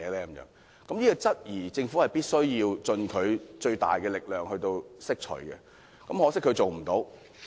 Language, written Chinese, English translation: Cantonese, 對於這種質疑，政府必須盡其最大力量來釋除疑慮，很可惜，他做不到。, The Government must do its utmost to answer all such queries . However the Financial Secretary has failed to do this